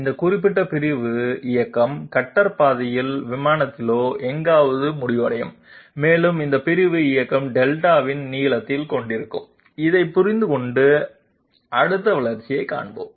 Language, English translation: Tamil, That this particular segmental movement will end up somewhere on the plane itself along the cutter path and this segmental motion will also have a length of Delta, having understood this let us see the next development